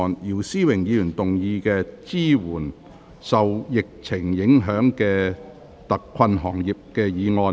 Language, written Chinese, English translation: Cantonese, 姚思榮議員動議的"支援受疫情影響的特困行業"議案。, Mr YIU Si - wing will move a motion on Providing support for hard - hit industries affected by the epidemic